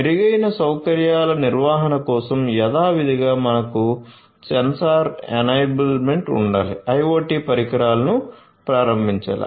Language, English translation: Telugu, For improved facility management again as usual we need to have sensor enablement right IoT devices will have to be enabled